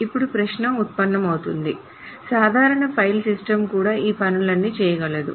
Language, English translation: Telugu, The question comes then is that a normal file system can also do all of these things